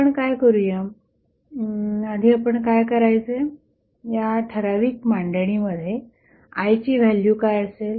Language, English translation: Marathi, So, what we will do will first find out what would be the value of I in this particular arrangement